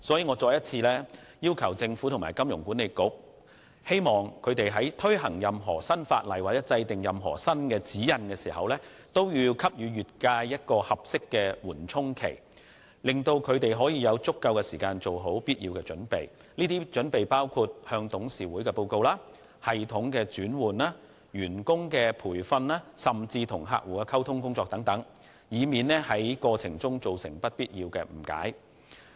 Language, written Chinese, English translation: Cantonese, 我再次要求政府和金管局，在推行任何新法例或新指引時，都應先給予業界合適的緩衝期，讓業界成員有足夠時間做好準備，包括向董事會作出報告、更新系統，培訓員工及與客戶溝通等，以免造成不必要的誤解。, Once again I request the Government and HKMA to give the sector an appropriate buffer period before implementing any new legislation or issuing any new guidance . This will enable members of the sector to have sufficient time to get well prepared including making reports to the Board of Directors updating systems training staff and communicating with clients so as to avoid unnecessary misunderstandings